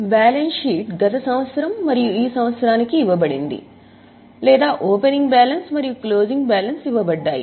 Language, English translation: Telugu, Then the balance sheet was given for last year and this year or opening balances and closing balances